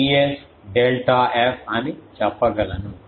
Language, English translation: Telugu, So, I can say K T s delta f